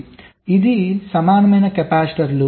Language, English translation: Telugu, so this is the equivalent capacitors